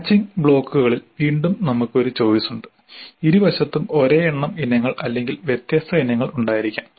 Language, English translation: Malayalam, Again in the matching blocks we have a choice both sides can have same number of items or different number of items